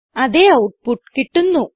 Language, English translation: Malayalam, We see the same output